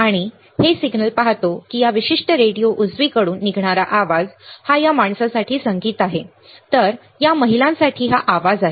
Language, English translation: Marathi, And we see that signal to noise the sound that comes out from this particular radio right is a is a music for this guy, while it is a noise for this women right